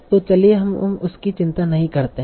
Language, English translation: Hindi, So let's not worry about that